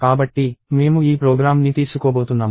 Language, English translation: Telugu, So, I am going to take this program